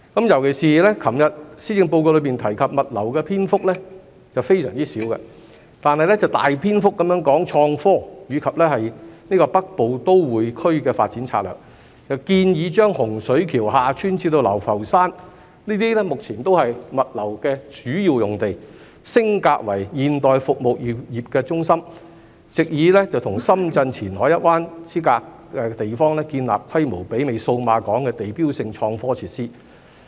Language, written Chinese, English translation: Cantonese, 尤其是昨日施政報告中提及物流的篇幅非常少，但大篇幅談及創科和《北部都會區發展策略》，建議將洪水橋/厦村至流浮山，這些目前都是主要的物流用地，升格為現代服務業中心，藉以與深圳前海一灣之隔的地方，建立規模媲美數碼港的地標性創科設施。, In particular there was very little mention of logistics in yesterdays Policy Address but a large part of it was devoted to innovation and technology IT and the Northern Metropolis Development Strategy which proposes to upgrade Hung Shui KiuHa Tsuen as well as Lau Fau Shan which are currently major logistics sites as the Modern Services Centre so as to build landmark IT facilities with a scale comparable to Cyberport at a location facing Qianhai Shenzhen on the other side of the Shenzhen Bay